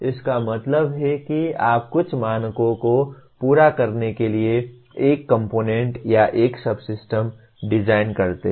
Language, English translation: Hindi, That means you design a component or a subsystem to meet certain standards